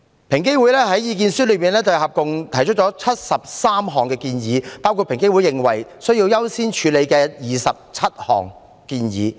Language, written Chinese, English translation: Cantonese, 平機會在意見書中合共提出73項建議，當中包括平機會認為需要優先處理的27項建議。, EOCs Submissions contained a total of 73 recommendations including 27 recommendations which were considered to be of higher priority